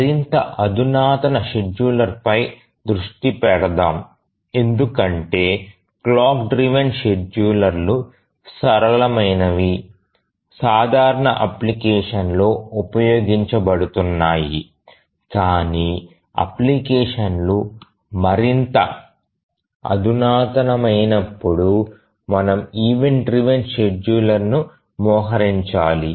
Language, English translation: Telugu, The clock driven schedulers are simple, used in simple applications, but as the applications become more sophisticated, we need to deploy the event driven schedulers